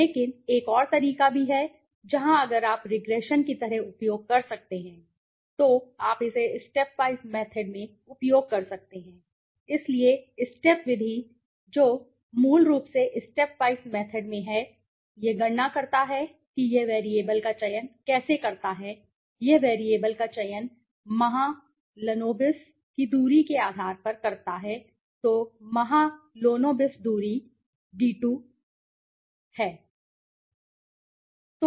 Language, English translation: Hindi, But in there is another way also where if you can use like regression you can use it in a step wise method, so step method what it does is basically in step wise method it calculates it how does it select a variable it selects the variable on basis of the distance the mahalanobis distance right so the mahalonobis distance right, D2 we say D2